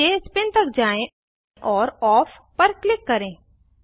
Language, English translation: Hindi, Scroll down to Spin and then click on option On